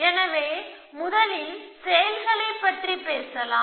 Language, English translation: Tamil, So, let us talk of actions first